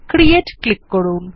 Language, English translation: Bengali, Click on the Create button